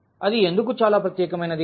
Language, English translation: Telugu, Why that is very special